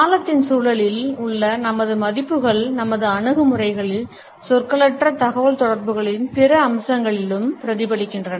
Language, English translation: Tamil, Our values in the context of time are reflected in our attitudes as well as in other aspects of nonverbal communication